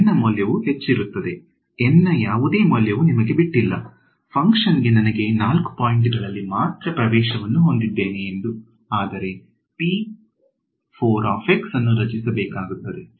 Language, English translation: Kannada, Value of N will be high, no value of N is up to you; if you tell me that I whole I have access to the function only at 4 points then you will create p 4 x